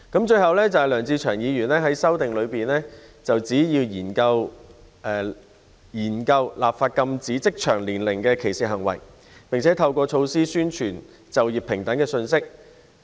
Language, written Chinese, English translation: Cantonese, 最後，梁志祥議員在修正案中建議政府研究立法禁止職場年齡歧視行為，並透過各種措施，宣傳就業平等的信息。, Lastly Mr LEUNG Che - cheungs amendment proposes studying the enactment of legislation against age discrimination in the workplace and publicizing the message of equal employment through various measures